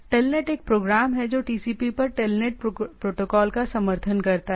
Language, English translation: Hindi, Telnet is a program that supports TELNET protocol over TCP